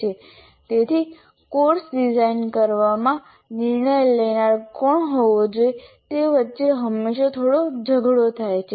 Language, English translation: Gujarati, So there is always a bit of tussle between who should be the final decision maker in designing a course